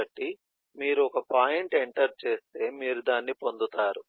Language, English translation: Telugu, so if you enter a point, you get it